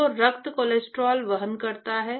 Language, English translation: Hindi, So, the blood actually carries cholesterol